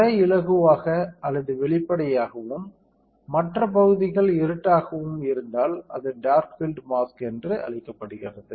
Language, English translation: Tamil, If the pattern is lighter or transparent, and other areas are dark, then it is called dark field mask